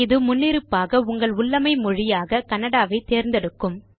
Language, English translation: Tamil, By default, this will set your local language setting to Kannada